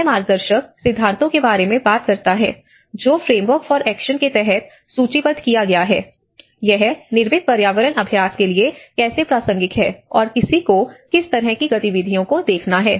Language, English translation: Hindi, It talks about the guiding principles, what have been listed under the Hyogo Framework for Action and how it is relevant to the built environment practice and what kind of activities one has to look at it